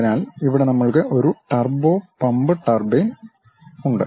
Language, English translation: Malayalam, So, here we have a turbo pump turbine